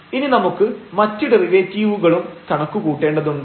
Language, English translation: Malayalam, So, for that we need to compute now the second order derivatives